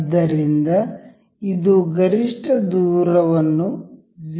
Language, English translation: Kannada, So, it has set up to a maximum distance up to 0